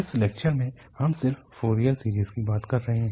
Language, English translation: Hindi, In this lecture, we are just talking about the Fourier series